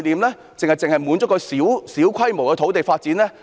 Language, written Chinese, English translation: Cantonese, 還是只滿足於小規模的土地發展？, Or are we merely contented with small - scale land development?